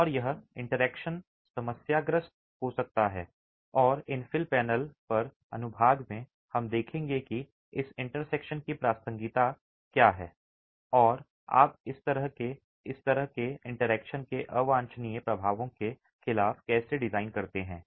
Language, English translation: Hindi, And this interaction can become problematic and in the section on infill panel we will look at what is the relevance of this interaction and how do you design against the undesirable effects of this sort of an interaction